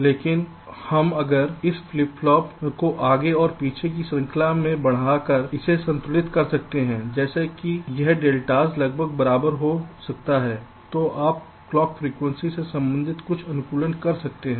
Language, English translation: Hindi, but you, we, if you can balance this out by moving this flip pops forward and backward in the change such that this deltas can become approximately equal, then you can carry out some optimization with respective to the clock frequency